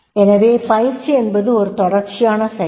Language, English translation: Tamil, So training is a continuous process